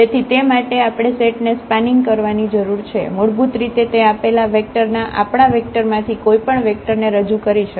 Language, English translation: Gujarati, So, for that we need spanning set basically that can span any that can represent any vector from our vector space in the form of this given vector